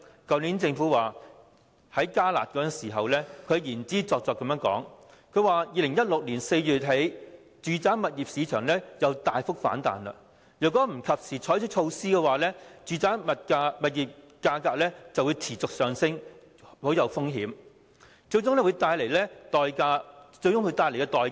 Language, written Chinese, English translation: Cantonese, 去年政府提出"加辣"措施時，言之鑿鑿地表示，住宅物業市場自2016年4月起再次大幅反彈，若不及時採取措施的話，樓價便會有持續上升的風險，最終帶來非常沉重的代價。, When introducing the enhanced curb measure last year the Government asserted that if timely measures were not taken in response to the significant rebound of the residential property market since April 2016 the risk of persistent rise in property prices could cost us very dearly in the end